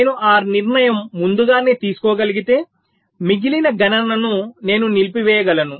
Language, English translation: Telugu, so if i can take that decision early enough, then i can disable the remaining computation